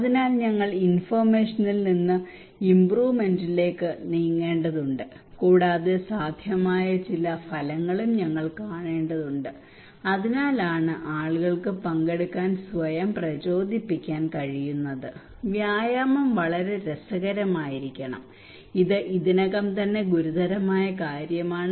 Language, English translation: Malayalam, So we need to move from information to improvement and we need to also see some feasible outcome, that is why people can motivate themselves to participate, and the exercise should be a lot of fun it is already a serious matter